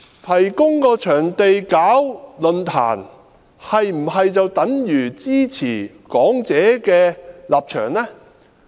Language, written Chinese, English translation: Cantonese, 提供場地舉辦論壇是否等於支持講者的立場？, Is the provision of a venue for the forum tantamount to supporting the position of the speaker?